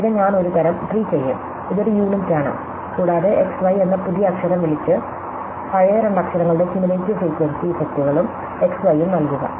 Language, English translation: Malayalam, Then, I will kind of treat, this is a unit and make a new letter call x, y and give it the cumulative frequency effects plus x, y of the old two letter